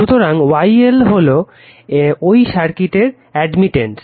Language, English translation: Bengali, So, Y L is that admittance of this inductive circuit